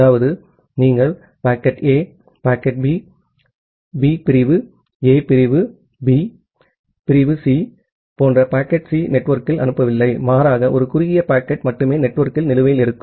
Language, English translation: Tamil, That means, you are not sending a packet A, packet B, B, packet C like segment A, segment B, segment C over the network rather only one short packet will be outstanding in the network at any given instance of time